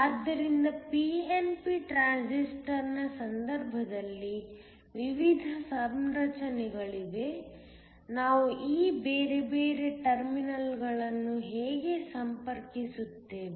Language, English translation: Kannada, So, There are various configurations in the case of a pnp transistor, how we connect these different terminals